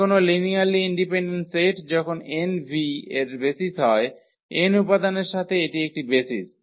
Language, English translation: Bengali, Any linearly independent set when n is a basis of V with n element this is a basis